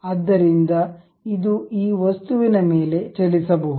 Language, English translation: Kannada, So, this one can move on this object